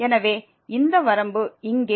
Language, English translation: Tamil, So, we have the limit now of